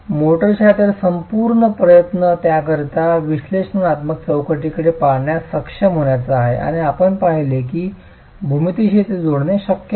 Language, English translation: Marathi, So, the whole attempt is to be able to look at an analytical framework for it and you've seen that it's possible to link it to the geometry